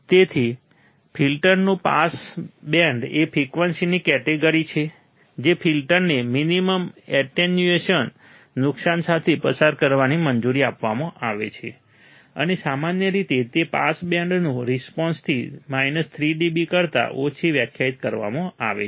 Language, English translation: Gujarati, So, pass band of a filter is the range of frequencies that are allowed to pass the filter with minimum attenuation loss and usually it is defined there less than minus 3 dB from the pass band response